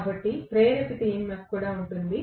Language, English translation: Telugu, So, there will be an induced EMF